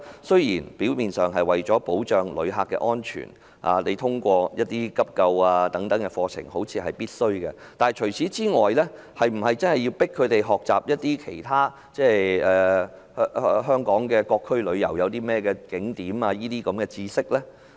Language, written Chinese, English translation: Cantonese, 雖說為保障旅客安全須要求導遊學習急救等課程，但除此之外，是否有需要強迫這類導遊學習香港各區旅遊景點的知識？, Although it is necessary to require tourist guides to take courses on first - aid for the sake of safeguarding visitors safety is it necessary to force such kind of tourist guides to acquire the knowledge of scenic spots in various districts of Hong Kong?